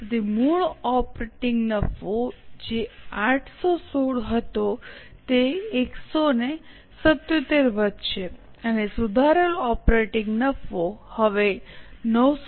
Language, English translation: Gujarati, So, the original operating profit which was 816 will increase by 177 and the revised operating profit is now 994